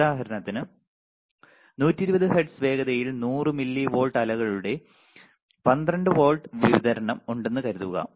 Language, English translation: Malayalam, So, for example, a 12 volt supply with 100 milli volt of ripple at 120 hertz